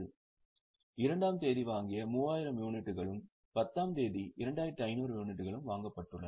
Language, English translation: Tamil, So, 3,000 units purchased on second and 2,500 units purchased on 10th